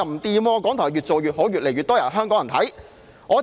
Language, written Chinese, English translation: Cantonese, 港台反而越做越好，越來越多香港人收看。, RTHK has instead fared better as more Hong Kong people watch its programmes